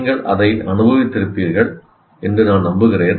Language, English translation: Tamil, I'm sure you would have experienced that